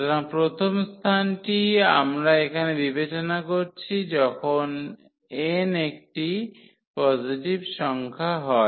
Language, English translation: Bengali, So, first space we are considering here when n is a positive number